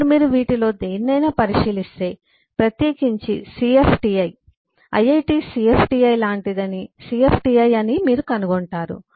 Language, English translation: Telugu, Now, if you look into any any one of this, particularly cfti, you will find that cfti, I iit is like a cfti is an is a cfti